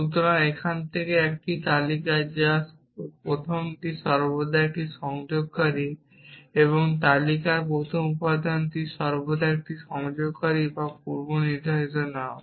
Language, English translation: Bengali, So, from here to here is a list which is so the first one is always a connective the first element in the list is always a connective or a predicate name